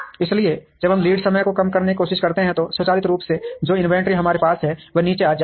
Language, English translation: Hindi, So, when we try to reduce the lead time, automatically the inventory that we hold will come down